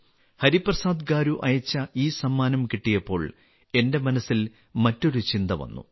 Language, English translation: Malayalam, When I received this gift sent by Hariprasad Garu, another thought came to my mind